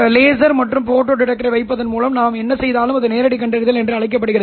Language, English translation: Tamil, Whatever we have done by putting up a laser and a photo detector is known as direct detection